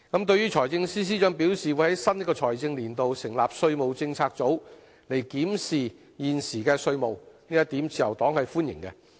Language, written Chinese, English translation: Cantonese, 對於財政司司長表示會在新一個財政年度成立稅務政策組，檢視現時的稅務，自由黨是歡迎的。, The Liberal Party welcomes the Financial Secretarys plan to set up a tax policy unit in the new financial year to examine various existing tax issues